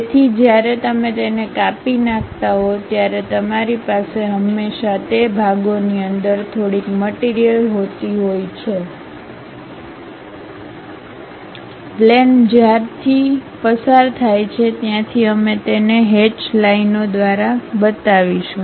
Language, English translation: Gujarati, So, when you are slicing it, you always be having some material within those portions; wherever the plane is passing through that we will show it by hatched lines